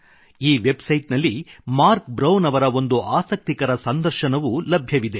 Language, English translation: Kannada, You can also find a very interesting interview of Marc Brown on this website